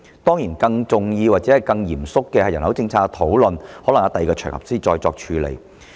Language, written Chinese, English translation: Cantonese, 當然，更重要或更嚴肅的人口政策的討論，可能在另一場合才能處理。, Of course discussions of more important or more serious population policies may only be ensued on another occasion